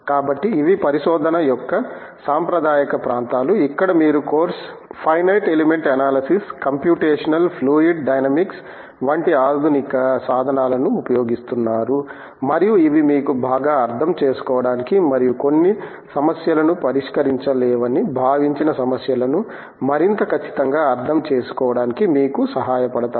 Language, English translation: Telugu, So, these are the traditional areas of research, where you use modern tools such as of course, finite element analysis, computational fluid dynamics and these help you to therefore, understand better and understand more precisely problems which were thought to be not solvable a few decades ago